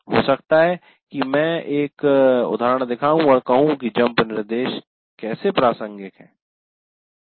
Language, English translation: Hindi, Maybe I will show an example and say this is how the jump instruction is relevant